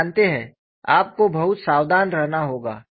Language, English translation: Hindi, So, that is what you have to be very careful about it